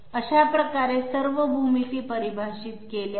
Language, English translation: Marathi, 5, so this way all these geometries have been defined